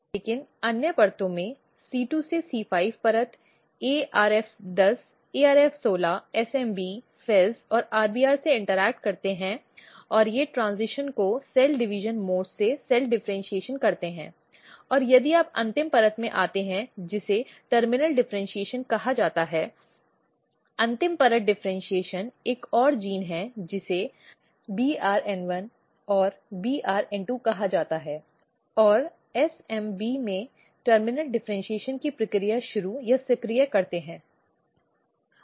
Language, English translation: Hindi, But in other layers c 2 to c 5 layer what happens ARF 10 ARF 16 SMB FEZ and RBR they basically interact and they basically shift the transition from cell division mode to cell differentiation mode and if you come in the last layer which is called terminal differentiation, the final layer differentiation there is another gene which is called BRN1 and BRN2 and SMB they basically initiate or activate the process of terminal differentiation